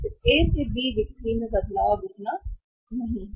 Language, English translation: Hindi, Then A to B the change in the sales is now not that much